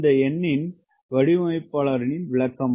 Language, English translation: Tamil, what is the designers interpretation of this number